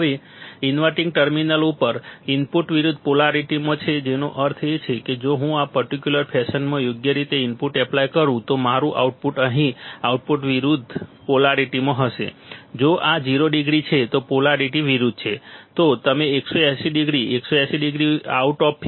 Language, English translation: Gujarati, Now, input at the inverting terminal is in opposite polarity that means if I apply a input in this particular fashion right, my output my output here will be opposite polarity, polarity is opposite right